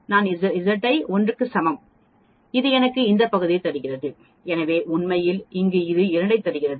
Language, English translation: Tamil, When I give Z equal to 1, it gives me this area and so on actually, here it is giving these 2